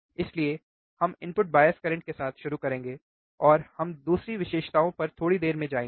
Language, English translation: Hindi, So, we will start with input bias current we will go to another characteristics in a short while